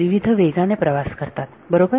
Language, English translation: Marathi, Travel with different velocities right